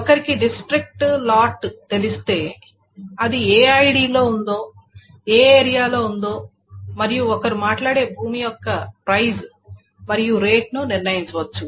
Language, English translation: Telugu, So district and lot, if one knows the district and lot together, it can determine which ID it is in, which area it is in and the price and rate of the plot of land that one talks about